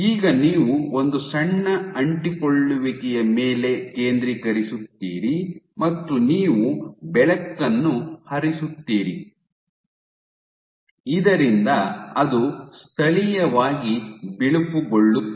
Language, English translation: Kannada, You focus on one small adhesion and you shine light So that it is locally bleached